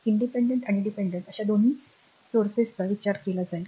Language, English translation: Marathi, So, both your independent and dependent both sources will be considered right